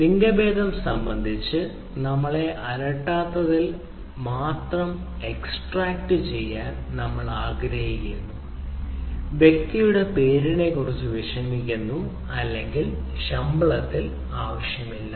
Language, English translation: Malayalam, so what we want to do, we want to extract only because we are not bothered about the gender m, bothered about the name of the person, or that is not required in the ah, so uh, in the salary